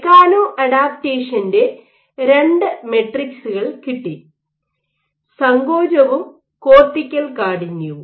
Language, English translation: Malayalam, You measured, so you have two matrices of mechano adaptation; contractility and cortical stiffness